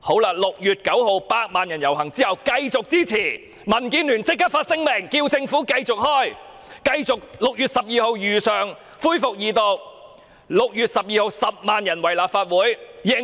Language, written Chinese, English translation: Cantonese, 在6月9日百萬人遊行後，民建聯立即發出聲明，要求政府繼續如期於6月12日恢復條例草案的二讀辯論。, After 1 million people participated in the public procession held on 9 June a statement was issued immediately by the Democratic Alliance for the Betterment and Progress of Hong Kong to urge for the resumption of the Second Reading debate on the relevant bill on 12 June as scheduled